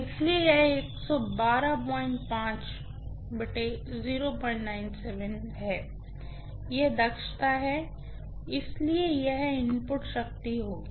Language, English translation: Hindi, 97 this is the efficiency, so this will be the input power